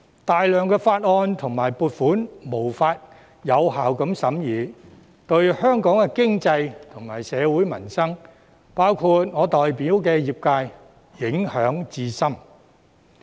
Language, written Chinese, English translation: Cantonese, 大量法案和撥款申請無法獲有效審議，這對香港經濟及社會民生，包括我代表的業界，影響至深。, With a substantial number of bills and funding applications being prevented from being scrutinized effectively Hong Kongs economy and peoples livelihood including the sectors represented by me have been profoundly affected